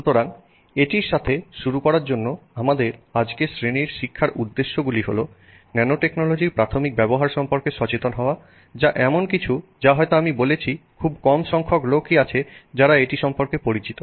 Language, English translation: Bengali, So, to get started with it, our learning objectives for today's class are to become aware of the early use of nanotechnology, which is something that maybe as I said, less of us are familiar with